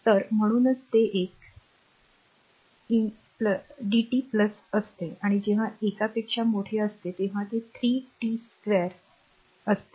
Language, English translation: Marathi, So, that is why it is one into dt plus in between the and when t greater than one it is 3 t square a